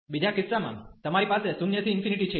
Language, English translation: Gujarati, In the second case, you have 0 to infinity